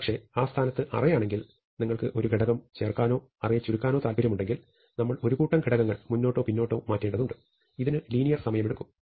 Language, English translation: Malayalam, But, at that position, if you want to insert a value or contract the array, then we have to shift a whole number of elements forwards or backwards and this will take linear time